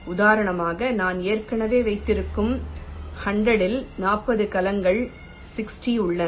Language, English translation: Tamil, like, for example, out of the hundred i have already placed forty cells, sixty are remaining